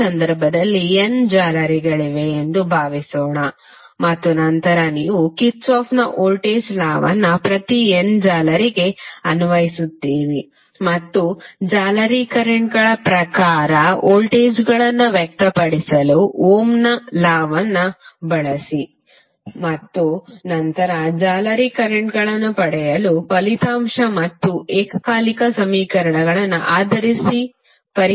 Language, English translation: Kannada, Suppose in this case there are n mesh and then you apply Kirchhoff's voltage law to each of the n mesh and use Ohm's law to express the voltages in terms of the mesh currents and then solve the resulting and simultaneous equations to get the mesh currents